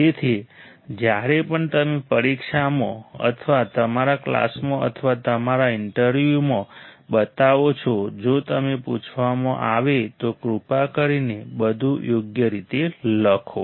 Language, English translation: Gujarati, So, whenever you show in exam or in your class or in your interview, if it is asked, please plot everything correctly